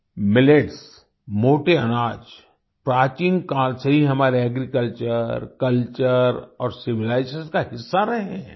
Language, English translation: Hindi, Millets, coarse grains, have been a part of our Agriculture, Culture and Civilization since ancient times